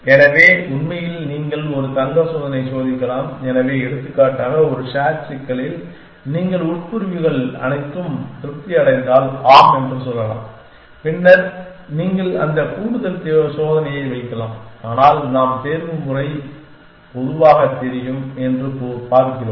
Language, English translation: Tamil, So, in fact it is of course you can put in a gold test check, so for example, in a sat problem you can say yes if all my clauses are satisfied then stop you can put then that extra check, but we are looking at optimization more generally know